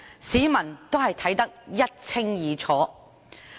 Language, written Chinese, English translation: Cantonese, 市民也看得一清二楚。, The public have seen clearly